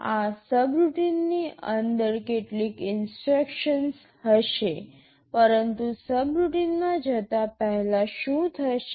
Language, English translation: Gujarati, Inside this subroutine there will be some instructions, but before jump into the subroutine what will happen